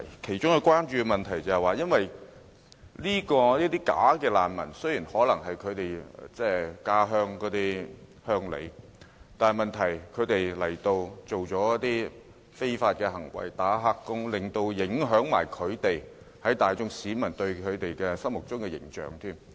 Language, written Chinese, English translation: Cantonese, 其中一個關注點是，縱使這些"假難民"可能是他們的同鄉，但這些人來港後從事非法活動，如"打黑工"，連帶影響了他們在大眾市民心目中的形象。, One of the concerns of the local ethnic minorities is that some bogus refugees may indeed be their fellow countrymen but such refugees engage in illegal activities after coming to Hong Kong such as engaging in illegal work and this will ruin their image in society